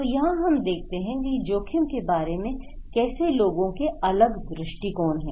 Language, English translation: Hindi, So, this is how people have different perspective about the risk